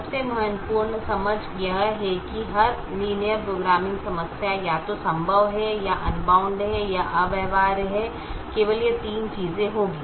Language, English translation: Hindi, every linear programming problem is either feasible or unbounded, or infeasible, which is what i was mentioning